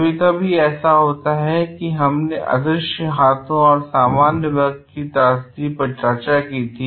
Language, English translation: Hindi, Sometimes, it what happens as we discussed in invisible hands and the tragedy of commons